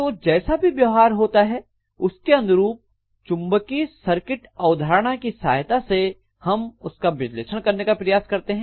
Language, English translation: Hindi, So we call this whatever is the behaviour we try to analyze it by the help of magnetic circuit concepts